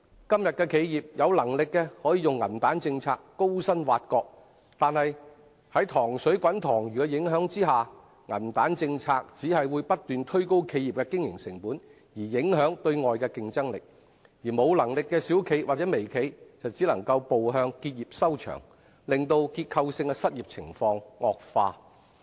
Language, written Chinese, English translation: Cantonese, 今天的企業，有能力的可用銀彈政策高薪挖角，但在"塘水滾塘魚"的影響下，銀彈政策只會不斷推高企業的經營成本而影響對外的競爭力，而無能力的小型或微型企業只能步向結業收場，令結構性的失業情況惡化。, Todays enterprises can attract high - paid staff with their silver bullets but such policy in the local context will only result in continuous escalation of the enterprises operating costs and affect its external competitiveness . Small or mini enterprises with few means can only close their business in the end making the structural unemployment even worse